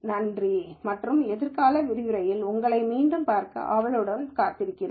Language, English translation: Tamil, Thank you and I look forward to seeing you again in a future lecture